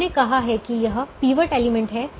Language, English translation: Hindi, we said this is the pivot element